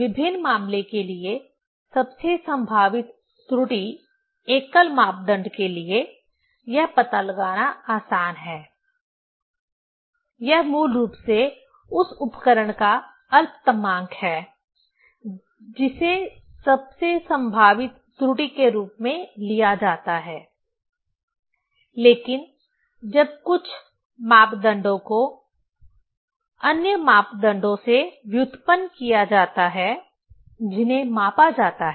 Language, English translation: Hindi, Most probable error for different case; for single parameter, it is easy to find out, that is basically the least count of the instrument that is taken as a most probable error, but when some parameters are derived from other parameters, which are measured